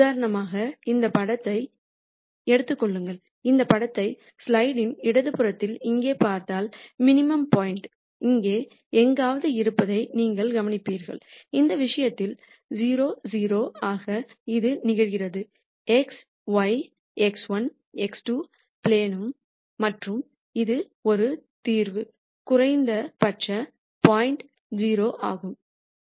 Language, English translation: Tamil, Take this picture for example, if you look at this picture right here on the left hand side of the slide you will notice that the minimum point is somewhere around here, which in this case happens to be 0 0 this is touching the x y, x 1, x 2 plane and that is a solution minimum point is 0